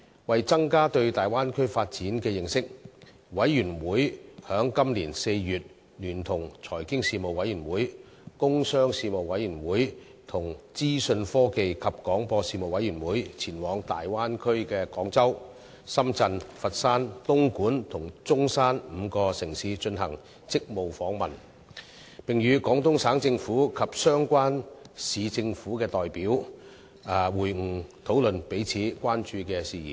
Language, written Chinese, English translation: Cantonese, 為增加對大灣區發展的認識，事務委員會於今年4月聯同財經事務委員會、工商事務委員會和資訊科技及廣播事務委員會前往大灣區的廣州、深圳、佛山、東莞及中山5個城市進行職務訪問，並與廣東省政府及相關市政府的代表會晤，討論彼此關注的事宜。, In order to better understand the Bay Area development in April this year the Panel Panel on Financial Affairs Panel on Commerce and Industry and Panel on Information Technology and Broadcasting conducted a duty visit to five cities in the Bay Area namely Guangzhou Shenzhen Foshan Dongguan and Zhongshan . Members met with representatives of the Guangdong Provincial Government as well as the Municipal Governments concerned and a wide range of issues of mutual concern were discussed